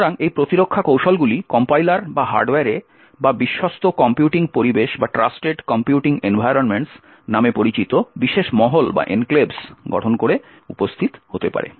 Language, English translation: Bengali, So, these defence strategies could be present either at the Compiler or at the Hardware or by building special enclaves known as Trusted Computing Environments